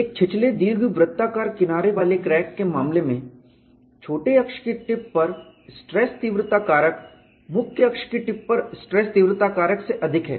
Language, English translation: Hindi, In the case of a shallow elliptical edge crack, the stress intensity factor at the tip of the minor axis is higher than the stress intensity factor at the tip of the major axis